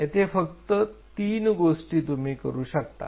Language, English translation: Marathi, There only three things you can do